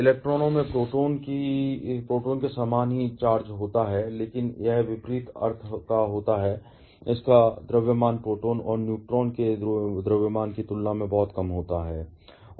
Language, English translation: Hindi, The electrons are having the same amount of charge as the proton, but it is of opposite sense and its mass is extremely small compared to that mass of proton and neutron